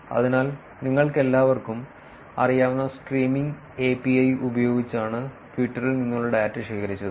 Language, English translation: Malayalam, So, the data the data from Twitter was collected using Streaming API, which all of you are aware of